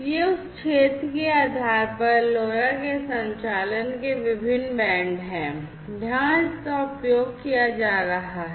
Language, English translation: Hindi, These are the different bands of operation of LoRa depending on the territory where it is being used